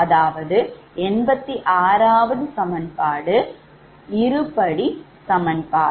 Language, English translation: Tamil, so this is equation eighty three